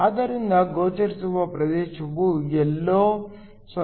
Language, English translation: Kannada, So, the visible region lies somewhere between 0